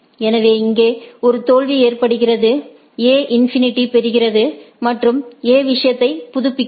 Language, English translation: Tamil, So, what is that there is a failure out here, A gets to infinity and A updates the thing